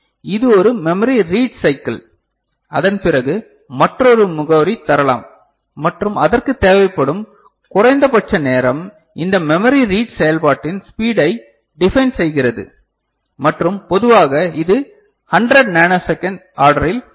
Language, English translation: Tamil, And this is one memory read cycle after that another address can be floated and the minimum time that is required that defines the speed of this memory read operation and typically it is of the order of 100 nanosecond